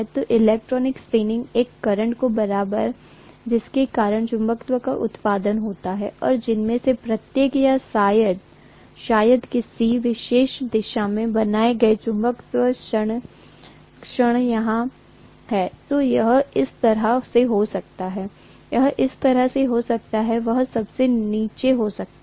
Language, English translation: Hindi, So the electron spinning is equivalent to a current because of which magnetism is produced and the magnetic moment created by each of them probably or in a particular direction if it is here, this way, this may be this way, this may be this way, this may be at the bottom